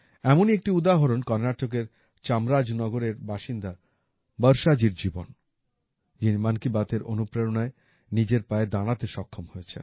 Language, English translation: Bengali, One such example is that of Varshaji of Chamarajanagar, Karnataka, who was inspired by 'Mann Ki Baat' to stand on her own feet